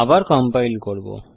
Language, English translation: Bengali, Let me compile it again